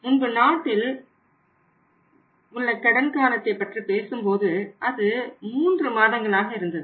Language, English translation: Tamil, Earlier when we talk about the credit period in this country was sometime 3 months also